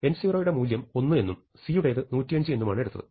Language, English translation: Malayalam, So, for n 0 equal to 1 and c equal to 105 you have established this